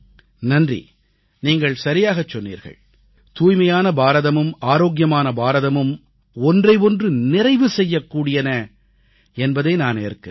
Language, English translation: Tamil, Thanks, you have rightly said it and I believe that Swachch Bharat and Swasth Bharat are supplementary to each other